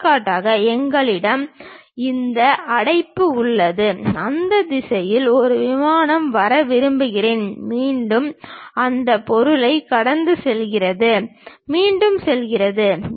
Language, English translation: Tamil, For example: we have this bracket, I would like to have a plane comes in that direction goes, again pass through that object goes comes, again goes